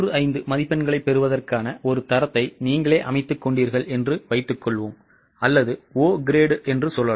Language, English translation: Tamil, Let us assume that you set up for yourself a standard of getting 95 marks or let us say O grade